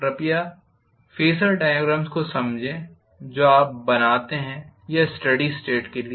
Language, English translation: Hindi, Please understand the phasor diagrams that you draw or for steady state